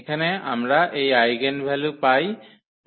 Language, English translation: Bengali, So, here we get these eigenvalues as 1 and 6